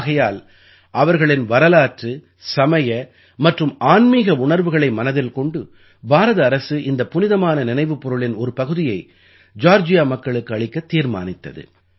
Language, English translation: Tamil, That is why keeping in mind their historical, religious and spiritual sentiments, the Government of India decided to gift a part of these relics to the people of Georgia